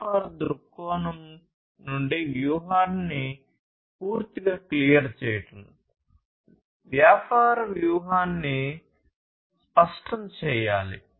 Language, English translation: Telugu, Clearing the strategy completely from a business point of view; business strategy should be clarified